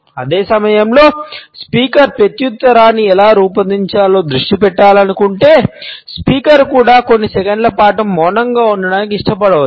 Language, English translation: Telugu, At the same time if the speaker wants to focus on how to frame the reply, the speaker may also prefer to remain silent for a couple of seconds